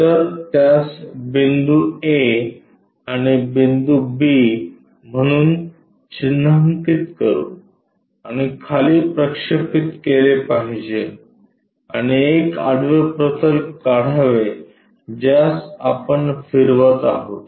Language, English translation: Marathi, So, let us mark that one as a point and b has to be projected down and draw a horizontal plane, which we are going to rotate it